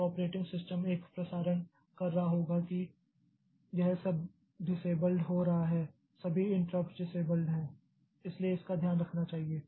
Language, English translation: Hindi, So, operating system will be doing a broadcasting that, okay, this is all this interrupt, all the interrupts are disabled